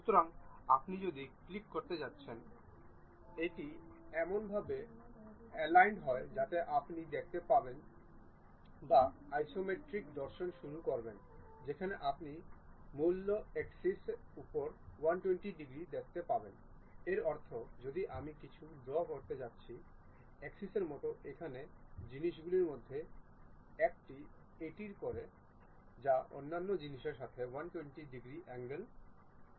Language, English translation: Bengali, So, if you are going to click that it aligns in such a way that you start seeing or uh isometric view where 120 degrees on the principal axis you will see; that means, if I am going to draw something like axis here, one of the thing axis what it does is 120 degrees with respect to other things